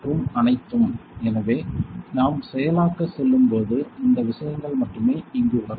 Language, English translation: Tamil, And all; so when we go to process only these things will come here